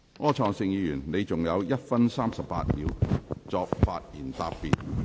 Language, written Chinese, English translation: Cantonese, 柯創盛議員，你還有1分38秒作發言答辯。, Mr Wilson OR you still have one minute 38 seconds to reply